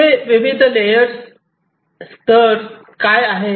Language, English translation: Marathi, So, what are the different layers over here